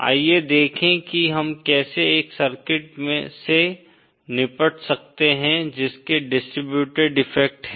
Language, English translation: Hindi, Let us see how we can deal with a circuit which has the distributed effects